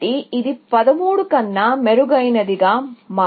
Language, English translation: Telugu, So, it can never become better than 13